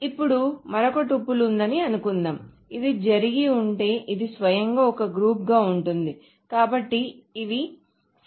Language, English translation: Telugu, Now suppose there were another tuple which is what would have happened is this is in a group by itself so this this would have been simply 3